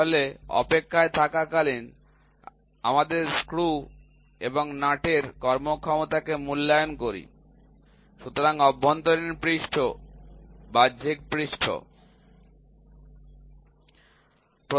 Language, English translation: Bengali, So, that we evaluate the performance of screw and nut when they are in waiting; so internal surface, external surface